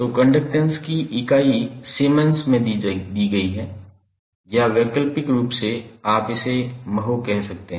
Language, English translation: Hindi, So, the unit of conductance is given in Siemens or alternatively you can say as mho